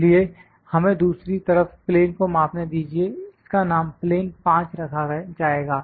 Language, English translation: Hindi, So, let us measure the plane on the other side, this will be named as plane five